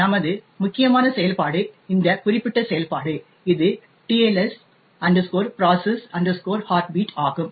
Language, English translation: Tamil, So, the important function for us is this particular function that is the TLS process heartbeat okay